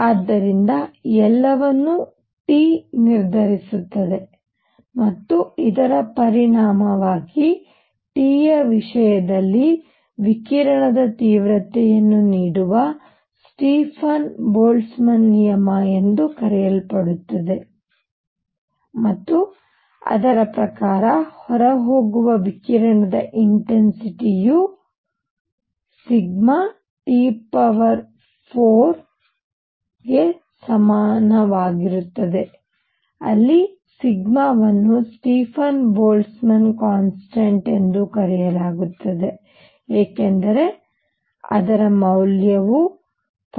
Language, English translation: Kannada, So, everything is determined by T and consequently there is something call the Stefan Boltzmann law that gives the intensity of radiation in terms of T and it says that the intensity of radiation coming out is equal to sigma T raise to 4, where sigma is known as Stefan Boltzmann constant as value is 5